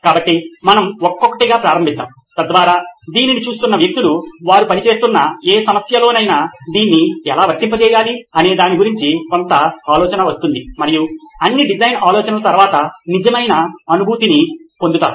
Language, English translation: Telugu, So let’s start with say we’ll go one by one, so that people who are viewing this will get a fair bit of idea as to how to apply this in any problem that they are working on and get real feel for after all design thinking is about practical experience so that’s why demonstrating to them how it’s done